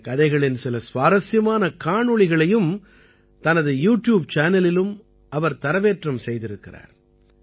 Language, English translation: Tamil, She has also uploaded some interesting videos of these stories on her YouTube channel